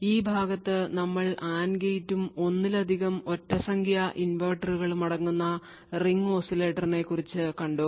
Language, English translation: Malayalam, So, note that we have looked at Ring Oscillator that is this part over here comprising of the AND gate and multiple odd number of inverters